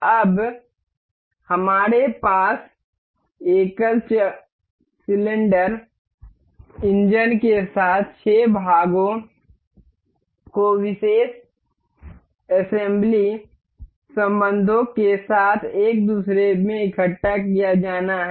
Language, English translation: Hindi, Now, we have these 6 parts of the single cylinder engine to be assembled into one another with particular assembly relations